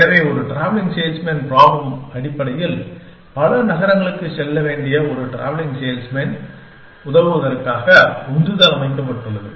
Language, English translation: Tamil, So, a travelling salesman problem is basically, the motivation is set to be to help a travelling salesman, who has to visit many cities